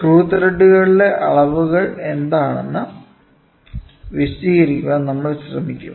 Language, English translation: Malayalam, So, we will try to cover what are the measurements for screw threads